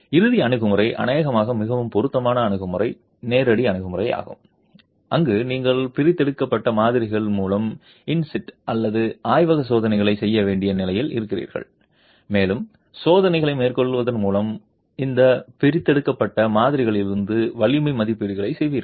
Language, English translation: Tamil, The final approach, probably the most appropriate approach, is the direct approach where you are in a position to do in situ or laboratory test on extracted specimens and you make strength estimates from these extracted specimens by carrying out experiments